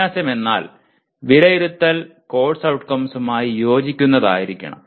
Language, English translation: Malayalam, Alignment means assessment should be in alignment with the course outcomes